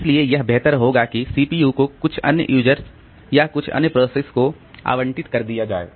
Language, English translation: Hindi, So, CPU can better be given to some other users or some other process